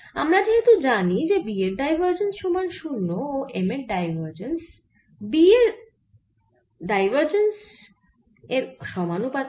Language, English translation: Bengali, as we know that divergence of b equal to zero and divergence of m is proportional to divergence of b, so divergence of m is also equal to zero